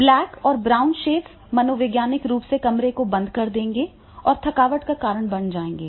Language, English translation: Hindi, Blakes and brown shades will close the room in psychologically and becoming fatiguing